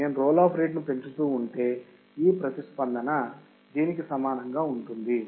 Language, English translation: Telugu, So if I keep on increasing the roll off rate, this response would be similar to this